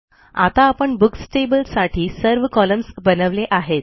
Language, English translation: Marathi, Now we have created all the columns for the Books table